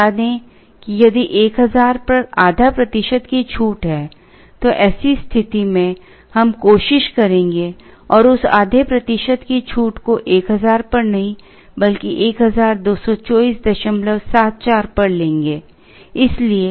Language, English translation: Hindi, Let us say there is a half a percent discount at 1000, then in such situation, we will try and avail that half a percent discount not at 1000, but at 1224